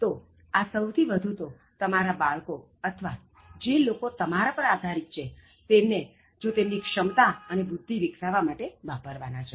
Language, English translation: Gujarati, So, this goes more for your children or people who depend on you, if you can help them to tap their potentials, identify their talents